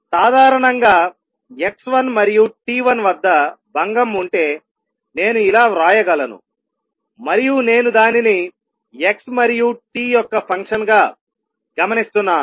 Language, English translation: Telugu, In general, I can write if there was a disturbance at x 1 and t 1 and I am observing it as a function of x and t this would be same as x minus x 1 minus v t minus t 1 at t 1